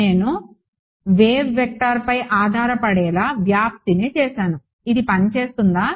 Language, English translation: Telugu, I have made the amplitude to be dependent on the wave vector does this work